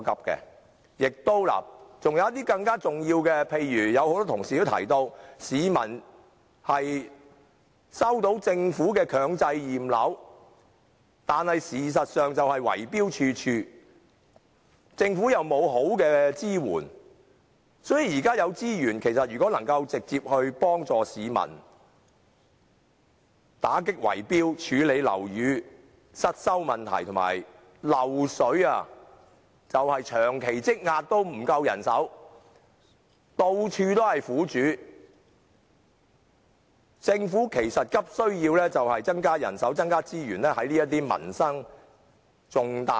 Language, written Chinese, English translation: Cantonese, 還有一些更重要的事，例如有很多同事也提到，市民收到政府強制驗樓的通知，但事實上圍標的問題十分嚴重，政府亦未能提供有效支援，所以應把現有資源直接用於幫助市民打擊圍標行為及處理樓宇失修問題上，其實樓宇滲漏問題正因人手不足而長期積壓，苦主到處皆見。, As mentioned by many Members some members of the public have received the notice of mandatory building inspection from the Government . But in fact the Government is unable to provide effective support to the public against the serious problem of tender rigging . The Government should thus use the existing resources to directly assist the public in combating tender rigging activities and dealing with the problem of building repairs